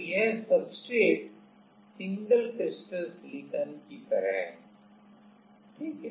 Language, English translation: Hindi, So, this is this substrate is like single crystal silicon ok